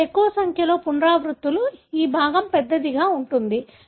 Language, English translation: Telugu, More number of repeats here, larger this fragment is going to be